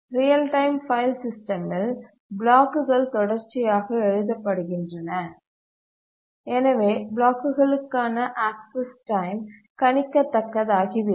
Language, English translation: Tamil, In a real time file system, the blocks are written consecutively so that the access time to the blocks becomes predictable